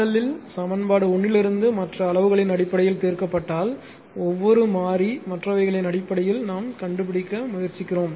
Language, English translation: Tamil, Now, again if you solve from equation one in RL if you solve for RL in terms of other quantities, what we are doing is each con variable we are trying to find out in terms of others right